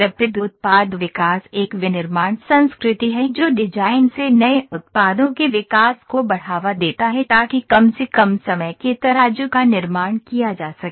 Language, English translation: Hindi, Rapid Product Development is a manufacturing culture which promotes the new products development from design to manufacture the shortest time scales possible